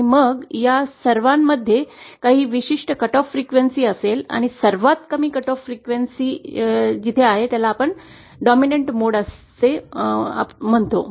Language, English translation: Marathi, And then all of these will have certain cut off frequency and the one that has the lowest cut off frequency will be the dominant mode